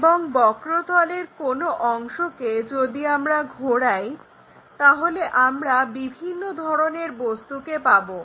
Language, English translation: Bengali, And, any part of the curve plane if we revolve it, we will get different kind of objects